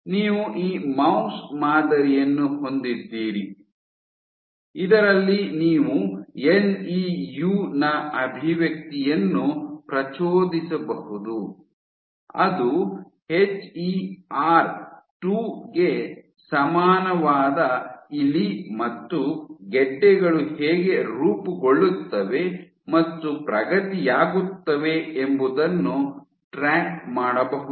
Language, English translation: Kannada, So, you have this mouse model in which you can induce expression of NEU which is a rat equivalent of HER 2 and track how tumors progress a form and progress